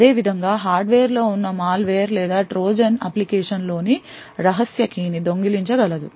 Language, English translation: Telugu, In a similar way a malware or a Trojan present in the hardware could steal the secret key in the application